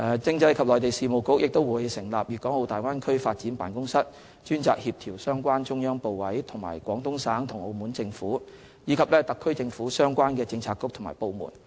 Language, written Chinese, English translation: Cantonese, 政制及內地事務局會成立"粵港澳大灣區發展辦公室"，專責協調相關中央部委及廣東省和澳門政府，以及特區政府相關政策局及部門。, The Constitutional and Mainland Affairs Bureau will set up a Guangdong - Hong Kong - Macao Bay Area Development Office which will be responsible for coordination with the relevant central authorities the Guangdong Provincial Government the Macao SAR Government and the relevant bureaux and departments of the Hong Kong SAR Government